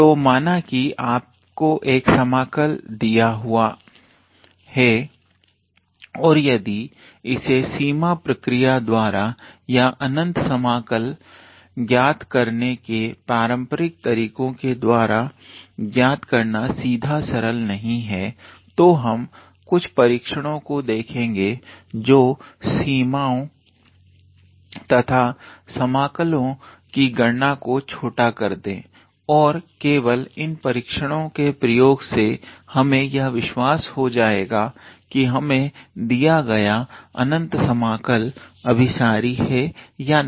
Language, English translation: Hindi, So, suppose you are given an integral and if it is not straightforward to evaluate via doing those limit procedures or via how to say the traditional method to calculate the improper integral, then we look for some tests that will help us reduce calculating those limits and integrals and just using these tests we will assure whether our given improper integral is convergent or not